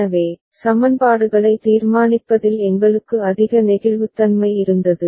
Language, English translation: Tamil, So, we had greater flexibility in deciding the equations